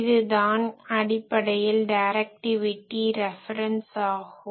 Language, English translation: Tamil, So, this is basically the directivity reference